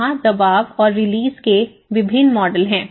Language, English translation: Hindi, There are various models of the pressure and release model